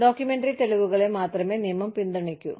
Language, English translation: Malayalam, The law only supports, documentary evidence